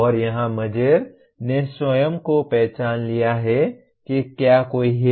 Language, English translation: Hindi, And here Mager himself has identified say if any